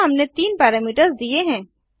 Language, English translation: Hindi, So we have given three parameters